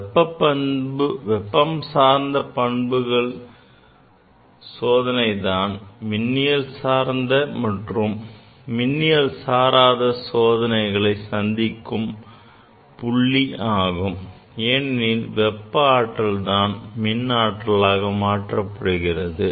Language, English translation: Tamil, And now in thermal properties they are the junction between the non electric and electrical where heat is converted into the voltage